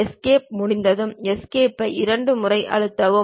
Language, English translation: Tamil, Once it is done Escape, press Escape twice